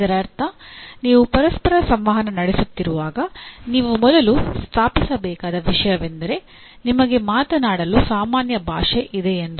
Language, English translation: Kannada, That means whenever you are communicating with each other first thing that you have to establish that you have a common language to speak